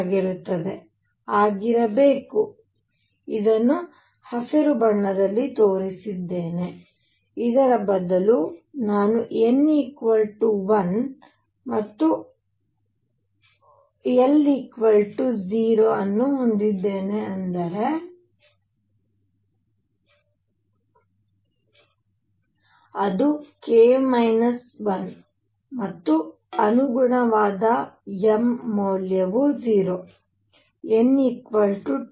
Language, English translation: Kannada, So, that I am now going to change right here and show it in green instead of this I am going to have n equals 1 and l equals 0, which is k minus 1 and corresponding m value would be 0